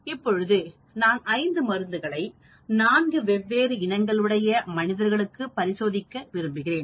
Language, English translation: Tamil, Now, I am testing 5 drugs on 4 races